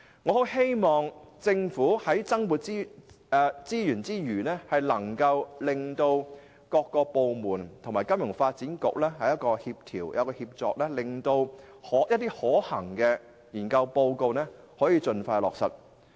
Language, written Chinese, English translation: Cantonese, 我很希望政府在向金發局增撥資源之餘，亦能協調各部門與金發局合作，令其研究報告所提出的建議得以盡快落實。, I do hope that the Government in providing FSDC with additional resources can also coordinate the cooperation between FSDC and different departments so that the recommendations put forward in its research papers can be implemented as early as possible